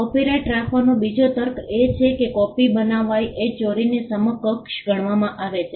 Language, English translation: Gujarati, Another rationale for having copyright is that copying is treated as an equivalent of theft